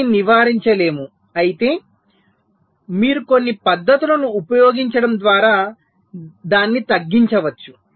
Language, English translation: Telugu, this cannot be avoided, but of course you can reduce it by using some techniques